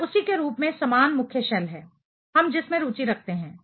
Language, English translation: Hindi, This is the same principal shell as that of the one, we are interested in